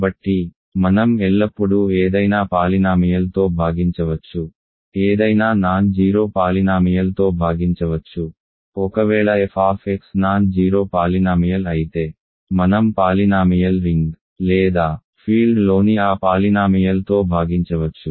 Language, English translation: Telugu, So, we can always divide by any polynomial, any non zero polynomial if a f x non zero polynomial we can divide by that polynomial in a field in a polynomial ring or a field